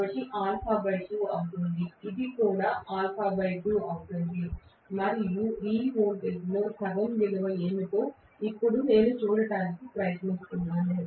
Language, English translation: Telugu, So this is going to be alpha by 2, this is also going to be alpha by 2, right and I am trying to now look at what is the value of half of this voltage